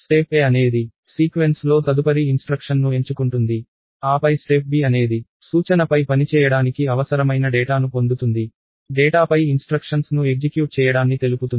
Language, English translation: Telugu, Step A would be pick the next instruction in the sequence, then step B would be get data that is required for the instruction to operate upon, execute the instruction on the data